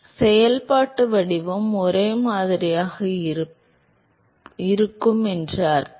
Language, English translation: Tamil, So, that also means that because the functional form is same